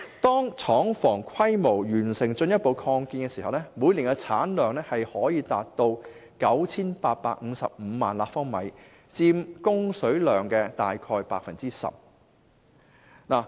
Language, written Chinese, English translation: Cantonese, 當廠房規模完成進一步擴建時，每年產量可達 9,855 萬立方米，約佔供水量 10%。, Upon further extension the plant may have an annual capacity of up to 98 550 000 cu m which account for 10 % of water supply in Hong Kong